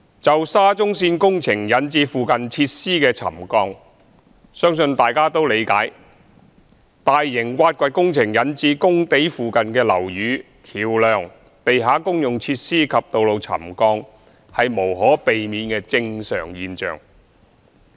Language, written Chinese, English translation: Cantonese, 就沙中線工程引致附近設施的沉降，相信大家都理解，大型挖掘工程引致工地附近的樓宇、橋樑、地下公用設施及道路沉降是無可避免的正常現象。, I believe that Members do understand that as far as the subsidence of buildings near the SCL is concerned it is inevitable and perfectly normal that large - scale excavation works would cause subsidence of the buildings bridges underground utilities and roads in the vicinity of the work sites